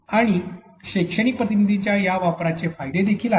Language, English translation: Marathi, And these use of pedagogical agents has advantages as well